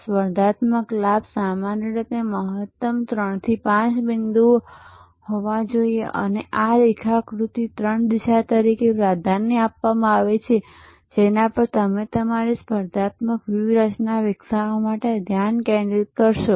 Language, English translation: Gujarati, Competitive advantage should normally be maximum three to five points and this diagram is often preferred as the three vectors that you will focus on for developing your competitive strategy